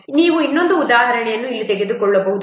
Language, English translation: Kannada, We can take another example here